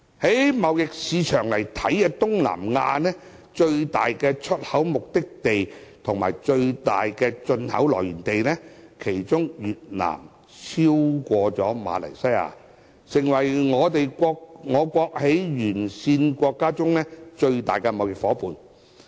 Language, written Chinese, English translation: Cantonese, 從貿易市場來看，以我國在東南亞最大出口目的地和最大進口來源地來說，越南已超過馬來西亞，成為我國沿線國家最大的貿易夥伴。, Among countries along the route Vietnam has overtaken Malaysia to become the countrys largest trade partner in Southeast Asia as an export destination and source of imports